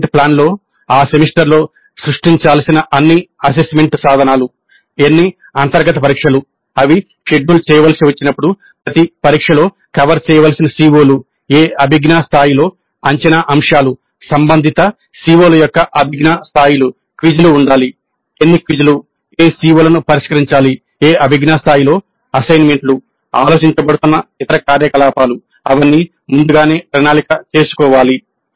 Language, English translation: Telugu, So the assessment plan must include which are all the assessment instruments that are to be created during that semester, how many internal tests when they have to be scheduled, which are the COs to be covered by each test at what level, at what cognitive level the assessment items must be there vis a vis the cognitive levels of the related COs